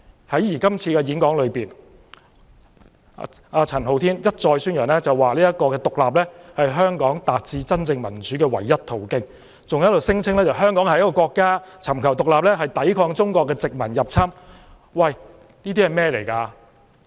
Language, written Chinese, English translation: Cantonese, 在演講中，陳浩天一再宣揚獨立是香港達致真正民主的唯一途徑，還聲稱香港是一個國家，尋求獨立是抵抗中國殖民入侵。, In his speech Andy CHAN indicated time and again that independence was the only way for Hong Kong to achieve genuine democracy and he further claimed that Hong Kong was a country and seeking independence was to resist Chinese invasion and colonization